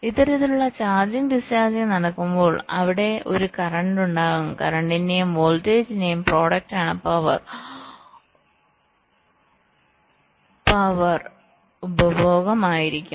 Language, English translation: Malayalam, so whenever there is a this kind of charging, discharging going on, there will be a current flowing and the product of currents and voltage will be the power consumption